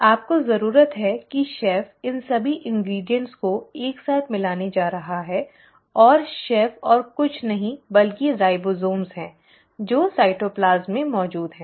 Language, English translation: Hindi, You need the chef is going to put in all these ingredients together and the chef is nothing but the ribosomes which are present in the cytoplasm